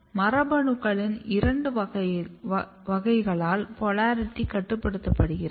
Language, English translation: Tamil, And polarity is regulated by a clear two category of the genes